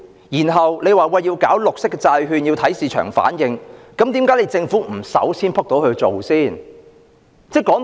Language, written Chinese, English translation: Cantonese, 然後政府又說，推出綠色債券要看市場反應，那麼政府為何不身先士卒去做呢？, The Government then says that market response has to be taken into account for the launch of green bonds . In that case why does the Government not take the lead to do so?